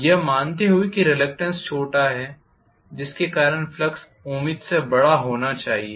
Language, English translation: Hindi, Assuming that the reluctance is smaller because of which the flux should be hopefully larger